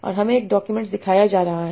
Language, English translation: Hindi, And we are being shown one document